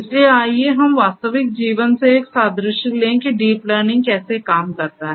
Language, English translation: Hindi, So, let us take an analogy from real life about how deep learning works